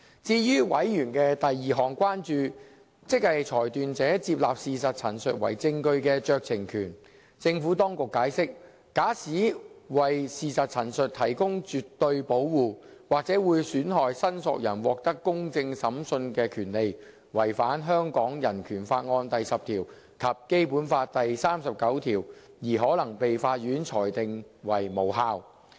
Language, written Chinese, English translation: Cantonese, 至於委員的第二項關注，即裁斷者接納事實陳述為證據的酌情權，政府當局解釋，假使為事實陳述提供絕對保護，或者會損害申索人獲得公正審訊的權利，違反香港人權法案第十條及《基本法》第三十九條，而可能被法院裁定為無效。, The second concern of members related to the decision makers discretion to admit statements of fact as evidence . The Administration explained that absolute protection of statements of fact might prejudice a claimants right to a fair hearing contrary to Article 10 of the Hong Kong Bill of Rights and Article 39 of the Basic Law and as such might be struck down by the court